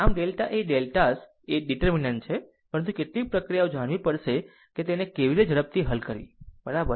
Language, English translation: Gujarati, So, delta is a deltas are the determinants, but we have to know some procedure that how to solve it quickly, right